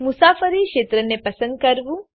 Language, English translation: Gujarati, To select the sector to travel